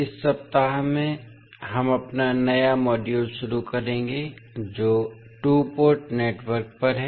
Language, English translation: Hindi, So, in this week we will start our new module that is on two port network